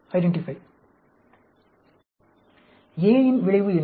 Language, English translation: Tamil, What is the effect of A